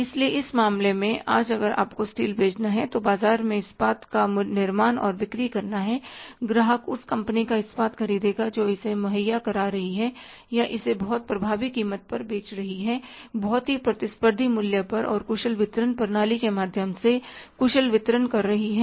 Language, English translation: Hindi, So in this case today if you have to sell the steel, manufacture and sell the steel in the market, customer would be buying the steel of that company who is providing it or selling it at the very effective price, very competitive price and in a very efficient distribution through the very efficient distribution system